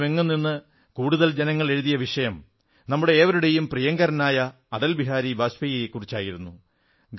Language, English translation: Malayalam, The subject about which most of the people from across the country have written is "Our revered AtalBehari Vajpayee"